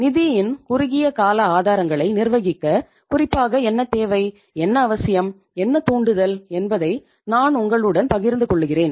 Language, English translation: Tamil, I would share with you here that what is the need, what is the requirement, what is the urge to learn about specifically to manage the short term sources of the funds